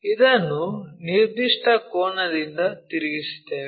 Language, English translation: Kannada, So, this one we rotate it with certain angle